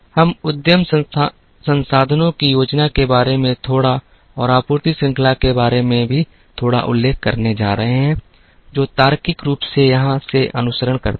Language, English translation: Hindi, We are also going to mention the little bit about enterprise resources planning and a little bit of supply chain management that logically follows from here